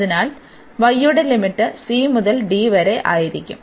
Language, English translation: Malayalam, So, the limits of y will be from c to d